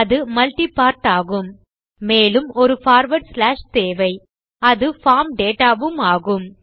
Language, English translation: Tamil, It will be multi part and we need a forward slash and then its form data